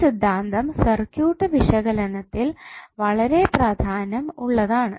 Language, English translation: Malayalam, Now this theorem is very important in the circuit analysis why